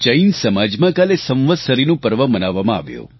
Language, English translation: Gujarati, The Jain community celebrated the Samvatsari Parva yesterday